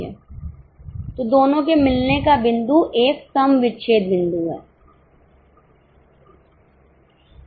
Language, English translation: Hindi, So, the point of interaction between the two is a break even point